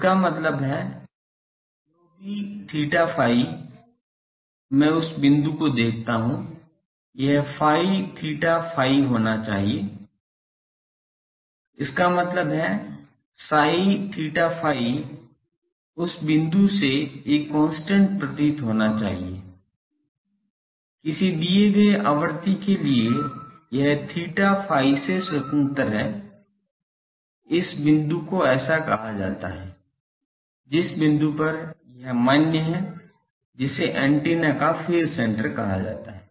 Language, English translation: Hindi, That means, whatever theta phi I look at that point, this psi theta phi so; that means, psi theta phi should appear to be a constant from that point, for a given frequency this is independent of theta phi this point is called the so, the point at which this is valid that is called the phase center of the antenna